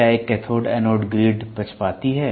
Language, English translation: Hindi, Can a cathode anode grid which is biased